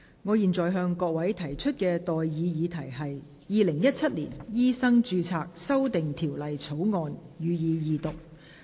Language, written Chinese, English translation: Cantonese, 我現在向各位提出的待議議題是：《2017年醫生註冊條例草案》，予以二讀。, I now propose the question to you and that is That the Medical Registration Amendment Bill 2017 be read the Second time